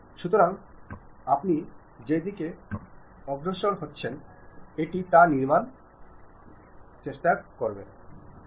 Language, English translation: Bengali, So, the direction along which you are moving it is try to construct that